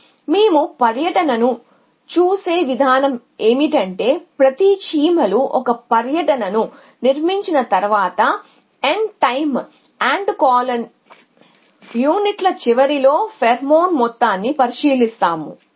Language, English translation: Telugu, So, the way will be look at tour is that we will look at the amount of pheromone at the end of N time units after each ants constructs a tour